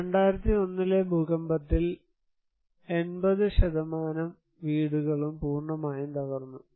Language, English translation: Malayalam, More than 80% of the houses were totally damaged by 2001 earthquake